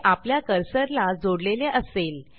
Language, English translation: Marathi, It would be tied to your cursor